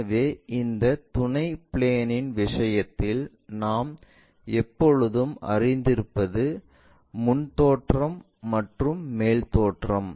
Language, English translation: Tamil, So, in this auxiliary planes thing, what we always know is front view and top view